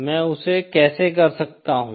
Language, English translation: Hindi, How can I do that